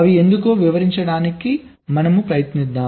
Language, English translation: Telugu, lets try to explain